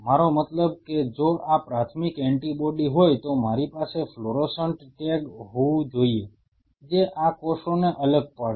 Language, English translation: Gujarati, I mean if this is a primary antibody I have to have a fluorescent tag which will distinguish these cells